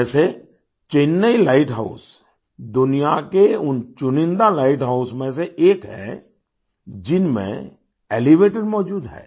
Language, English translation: Hindi, For example, Chennai light house is one of those select light houses of the world which have elevators